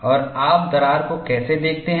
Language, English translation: Hindi, And how do you see the crack front